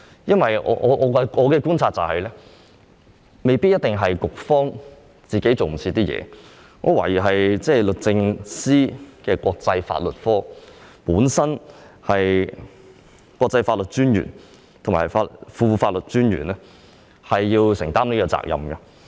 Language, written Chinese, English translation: Cantonese, 因為根據我的觀察，這未必是局方的工作趕不上，我懷疑是律政司國際法律科的國際法律專員和副國際法律專員需要就此承擔責任。, I said so because according to my observations the delay might not necessarily be caused by the slippage on the part of the Bureau and I suspect that the Law Officer and the Deputy Law Officer of the International Law Division under the Department of Justice should be held accountable